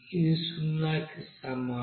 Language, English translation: Telugu, It will be is equal to 0